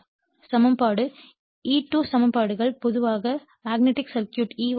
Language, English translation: Tamil, Now, EMF equation thesE2 equations also in the magnetic circuit in general I have given, E1 = 4